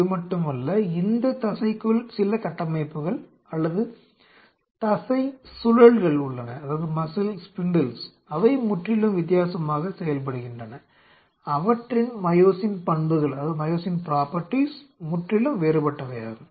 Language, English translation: Tamil, There not only that within this muscle there are certain structures or muscle spindle, they behave entirely differently their myosin properties are entirely different